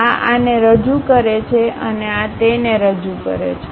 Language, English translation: Gujarati, This one represents this and this one represents that